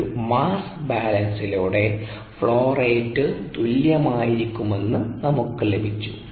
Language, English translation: Malayalam, so through a mass balance we got that the flow rates need to be equal